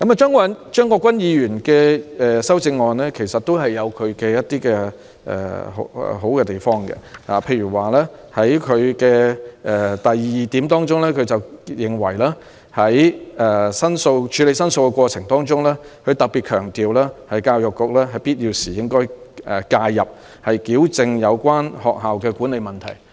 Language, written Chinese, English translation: Cantonese, 張國鈞議員的修正案也有一些好的地方，例如在第二項提及處理申訴的過程，他特別強調"在必要時亦須由教育局介入，以糾正有關學校的管理問題"。, There are also some preferable points in Mr CHEUNG Kwok - kwans amendment eg . item 2 refers to handling school complaints and he particularly stresses that where necessary require intervention by the Education Bureau to rectify the management problems of the relevant schools